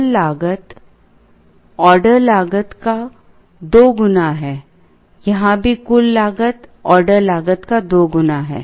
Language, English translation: Hindi, The total cost is two times the order cost; here also total cost is two times the order cost